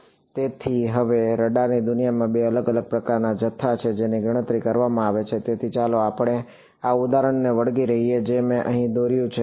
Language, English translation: Gujarati, Now, so there are in the world of radar there are two different kinds of sort of quantities that are calculated; so, let us let us stick to this example which I have drawn over here